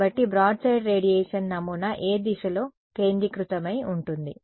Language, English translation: Telugu, So, the broadside radiation pattern is something which is focused in which direction